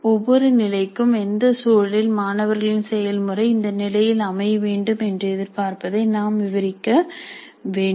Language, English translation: Tamil, Then for each level we should describe under what conditions the student's performance is expected to be at that level